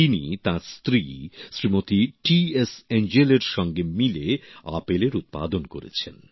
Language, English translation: Bengali, He along with his wife Shrimati T S Angel has grown apples